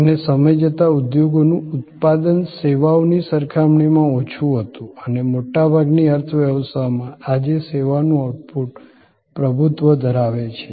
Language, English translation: Gujarati, And then over time, industry output was less compare to services and services output dominates today most in the most economies